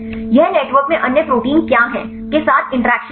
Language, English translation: Hindi, This is interact with what are the other proteins in the network